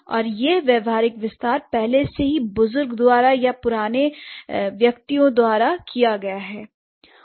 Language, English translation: Hindi, And this pragmatic extension has been already done by the elders or by the older speakers